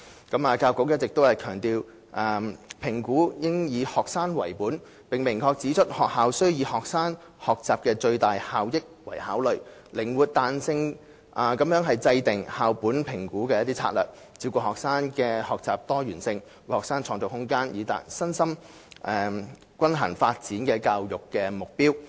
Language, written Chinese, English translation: Cantonese, 教育局一直強調評估應以學生為本，並明確指出學校須以學生學習的最大效益為考慮，靈活彈性地制訂校本評估策略，照顧學生的學習多元性，為學生創造空間，以達致身心均衡發展的教育目標。, The Education Bureau has all along emphasized that assessment should be student - centred and explicitly stipulated that schools should formulate their school - based assessment strategies flexibly and in the best interest of students to cater for learner diversity and create space for students to achieve the learning goal of having a balanced development in both physical and psychological aspects